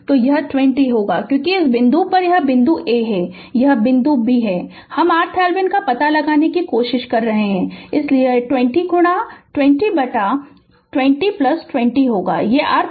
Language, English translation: Hindi, So, it will be 20 because at this point say, this is point A, this is point B, we are trying to find out R Thevenin, so it will be 20 into 20 by 20 plus 20 this is your R thevenin you have to find out